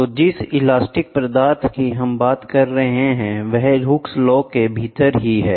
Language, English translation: Hindi, So, elastic material we talked about within the Hooks law